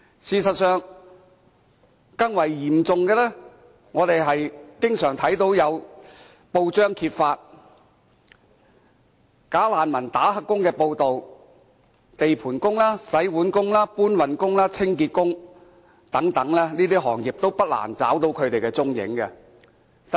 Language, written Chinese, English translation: Cantonese, 事實上，更為嚴重的是，我們經常看到報章揭發"假難民"做"黑工"的報道，包括地盤工、洗碗工、搬運工、清潔工等，在這些行業不難找到他們的蹤影。, Actually what is even more serious is that as frequently revealed in press reports many bogus refugees have been engaged in illegal employment working as construction site workers dish - washing workers porters and cleaning workers . It is not hard to find them in these occupations